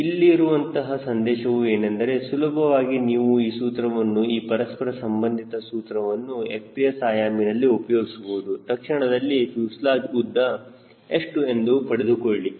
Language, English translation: Kannada, the message is you can easily use this relationship, this correlation, in in f p s unit and quickly get what is the fuselage length